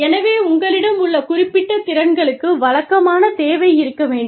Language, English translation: Tamil, So, there has to be a regular need, for the specific skills, that you have